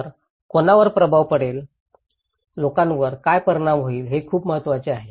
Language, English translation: Marathi, So, who will be impacted, how will be impacted is very important for people